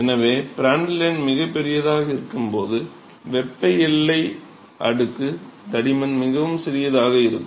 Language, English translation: Tamil, So, so when Prandtl number is very large the thermal boundary layer thickness is very small